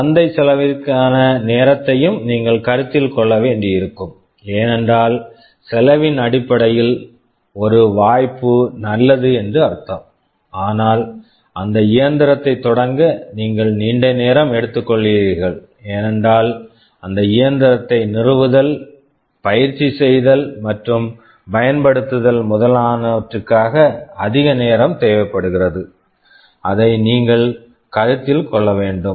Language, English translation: Tamil, Not only that you will also have to consider the time to market cost, because may be means one choice is good in terms of cost, but you are taking a long time to start that machine, because installing, training and just using that machine is requiring much more time that also you also have to need to consider